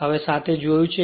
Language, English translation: Gujarati, Now we will have seen